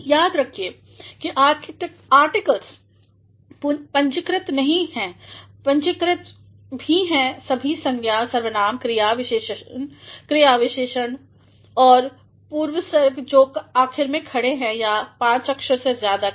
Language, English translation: Hindi, Do remember that articles are not capitalized and also capitalized all nouns, pronouns, verbs, adverbs, adjectives and prepositions that stand either last or contain more than five letters